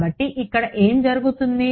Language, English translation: Telugu, So, what will happen over here